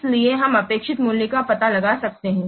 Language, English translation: Hindi, So you can find out the expected value